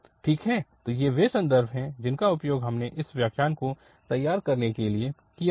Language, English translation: Hindi, Well, so these are the references we have used for preparing these lectures